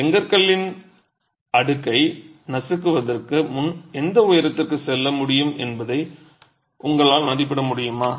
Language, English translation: Tamil, Could you make an estimate of what height the stack of bricks can go before it crushes